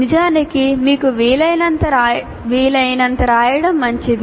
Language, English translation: Telugu, In fact, it is good to write as much as you can